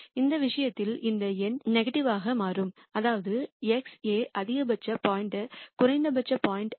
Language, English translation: Tamil, In this case this number turns out to be negative which means that x is a maximum point, not a minimum point